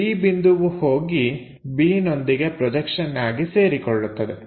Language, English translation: Kannada, B point also coincide with that projection to b